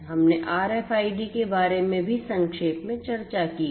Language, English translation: Hindi, We have also discussed briefly about the RFIDs